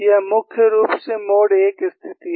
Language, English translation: Hindi, And that is what you see for the mode 1 situation